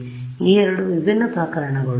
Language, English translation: Kannada, So, these are the two different cases ok